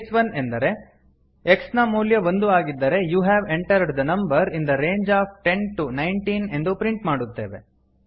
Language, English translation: Kannada, case 1 means if the value of x is 1 We print you have entered a number in the range of 10 19